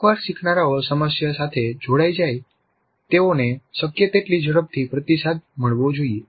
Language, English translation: Gujarati, So, once learners engage with the problem, they must receive feedback as quickly as possible